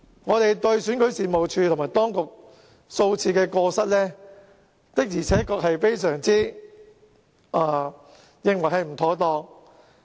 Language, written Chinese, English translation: Cantonese, 我們認為選舉事務處及當局犯下數次過失，的確是非常不妥當。, We consider that REO and the Administration have made several mistakes which are rather inappropriate